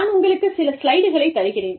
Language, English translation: Tamil, Again, I will give you the slides